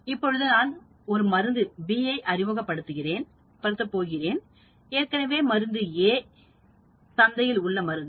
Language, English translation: Tamil, Now, I am going to introduce a drug B, there is already a drug A